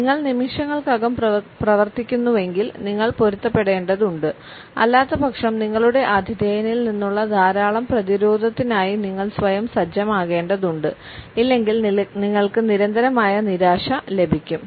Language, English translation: Malayalam, If you work in seconds then you need to adapt otherwise you are going to set yourself up for a lot of resistance from your hosts and you are going to get constant disappointment